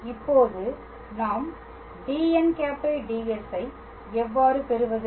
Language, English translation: Tamil, And now how do we obtain dn ds